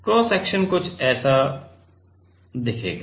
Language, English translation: Hindi, Cross section will look like something like this